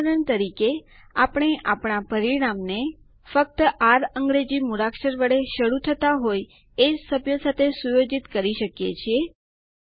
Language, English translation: Gujarati, For example, we can limit the result set to only those members, whose name starts with the alphabet R